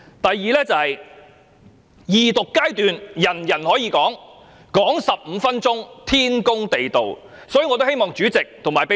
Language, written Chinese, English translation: Cantonese, 第二，各議員在二讀階段皆可以發言，發言15分鐘，是天公地道的事情。, The second point I am driving at is that all Members may rise to speak during Second Reading for 15 minutes and this is only reasonable